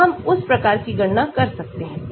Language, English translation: Hindi, so we can do that sort of calculations